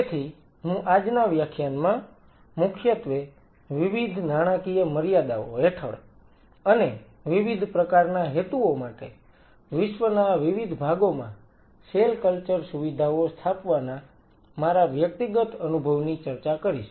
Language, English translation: Gujarati, So, todays lecture I will be talking exclusively from my personal experience of setting up cell culture facilities in different parts of the world under different financial constraints and for different kind of purpose